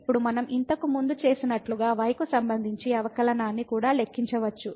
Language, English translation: Telugu, Now, we can also compute the derivative with respect to like we have done before